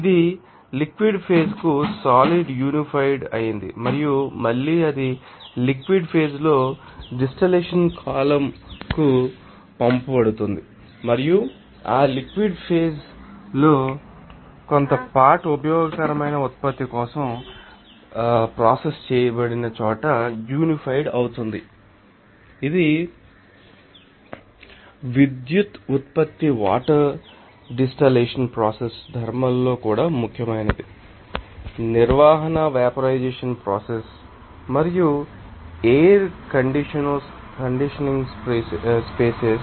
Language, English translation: Telugu, It will be condensed to a liquid phase and again it will be sent to the distillation column at the liquid phase and some portion of that liquid phase will be unified there you know processed for you know useful product, it is also important in power generation water desalination process thermal management vaporization process and air conditioning process